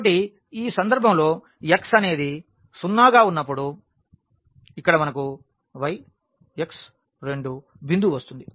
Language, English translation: Telugu, So, in this case when x is 0 here we are getting the point y x 2